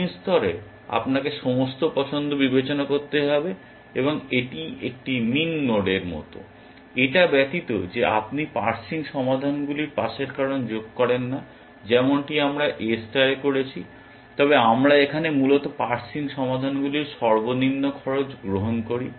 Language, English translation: Bengali, At min level you have to consider all choices, and it is like a min node except that you do not sum up the pass cause of the parsing solutions as we did in A star, but we take the minimum of the cost of the parsing solutions here essentially